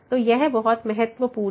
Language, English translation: Hindi, So, that is very important